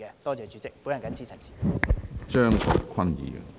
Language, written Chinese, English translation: Cantonese, 多謝主席，我謹此陳辭。, Thank you Chairman . I so submit